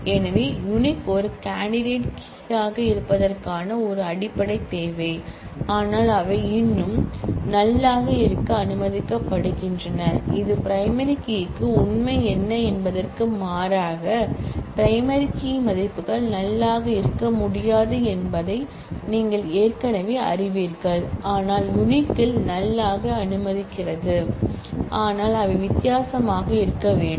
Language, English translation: Tamil, So, uniqueness is a basic requirement for being a candidate key, but they are, but still permitted to be null which in contrast to what is the true for primary key already you know that primary key values cannot be null, but uniqueness allows a null value, but they have to be different